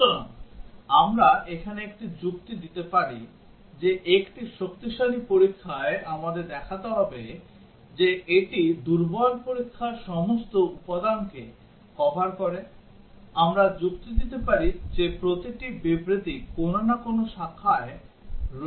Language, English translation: Bengali, So, we can give a argument here that in a stronger testing, we have to show that it covers all elements of the weaker testing, we can argue that every statement lies on some branch